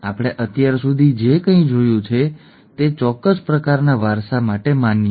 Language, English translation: Gujarati, Whatever we have seen so far is valid for a certain kind of inheritance